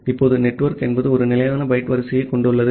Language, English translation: Tamil, Now, network is a has a fixed byte order